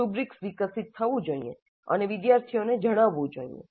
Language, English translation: Gujarati, And the rubrics, as I mentioned, must be developed and shared upfront with the students